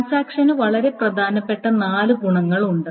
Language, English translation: Malayalam, So, transactions have four very, very important properties